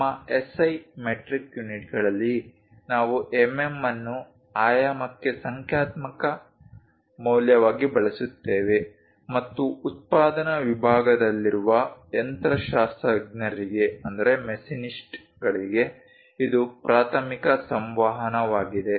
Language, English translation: Kannada, In our SI metric units, we use mm as numerical value for the dimension and this is the main communication to machinists in the production facility